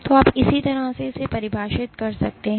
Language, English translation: Hindi, So, you can define just like